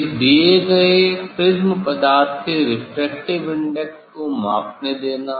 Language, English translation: Hindi, Allow to measure the refractive index of the material of this given prism